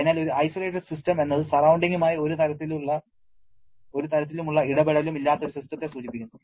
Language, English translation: Malayalam, So, an isolated system refers to a system which does not have any kind of interaction with the surrounding